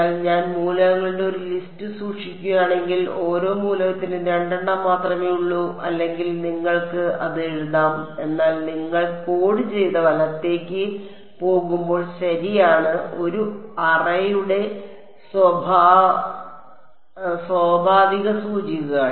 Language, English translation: Malayalam, But if I am maintaining a list of elements then within each element there only two U 1 or U 2 you could write it as U l and U r, but then when you go to coded right U 1 U 2 becomes natural indexes for an array right yeah